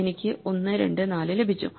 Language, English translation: Malayalam, So, I have got 1, 2, 4